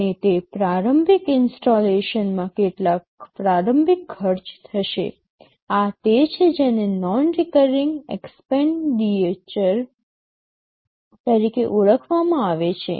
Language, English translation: Gujarati, And that initial installation will incur some initial cost; this is what is referred to as non recurring expenditure